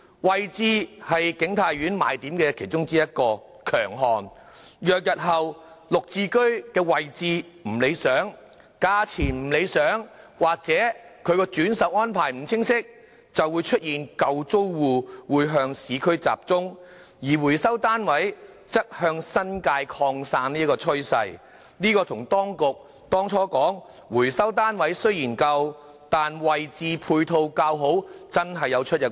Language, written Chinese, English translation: Cantonese, 位置是景泰苑的其中一個賣點，若日後"綠置居"的位置不理想，價錢不理想或轉售安排不清晰，便會出現舊租戶向市區集中，回收單位則向新界擴散的趨勢，這與當局當初說回收單位雖然舊，但位置配套較好的說法確實有出入。, Location is one of the selling points of King Tai Court . If future GSH is not well - located not reasonably priced or without clear resale arrangements the original tenants will tend to concentrate in the urban areas while recovered units will tend to spread out in the New Territories . This situation differs from the Governments claim that recovered units are older but have better location and ancillary facilities